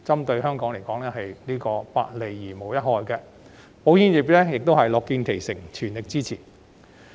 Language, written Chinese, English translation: Cantonese, 對香港而言，這是百利而無一害的，保險業亦樂見其成，全力支持。, This will do all good but no harm to Hong Kong . The insurance industry is happy to see this happen and will render its support in full strength